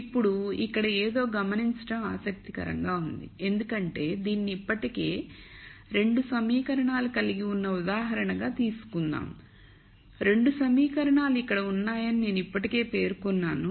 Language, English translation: Telugu, Now, it is interesting to notice something here for let us just take this as an example already we have 2 equations, I have already mentioned that the 2 equations are here